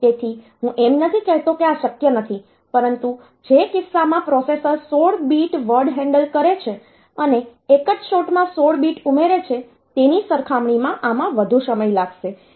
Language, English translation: Gujarati, So, I am not saying that this is not possible, but this will take more time compared to the case in which a processor handle 16 bit word and a 16 bit addition is done in a single shot